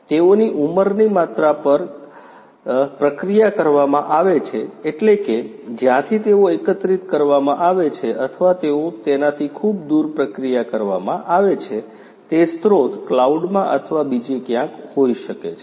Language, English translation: Gujarati, They have to be processed close to the age, that means, the source from where they are being collected or they have to be processed you know far away from it may be in a cloud or somewhere like that